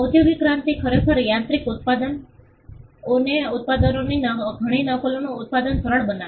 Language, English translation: Gujarati, Industrial revolution actually mechanized manufacturing; it made producing many copies of products easier